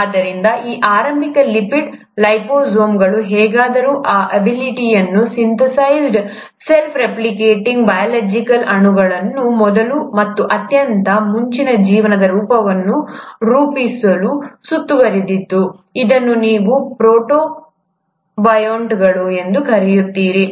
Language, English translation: Kannada, So these initial lipid liposomes would have somehow enclosed these abiotically synthesized self replicating biological molecules to form the first and the most earliest form of life, which is what you call as the protobionts